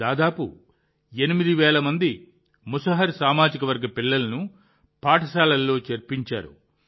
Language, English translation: Telugu, He has enrolled about 8 thousand children of Musahar caste in school